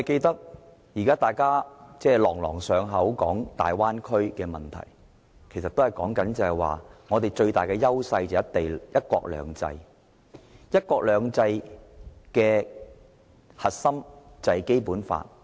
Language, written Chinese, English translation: Cantonese, 大家每次談到大灣區問題，都說香港最大的優勢是"一國兩制"，而"一國兩制"的核心是《基本法》。, Whenever we mention the Bay Area we would say that the biggest advantage of Hong Kong is one country two systems and the core of which is the Basic Law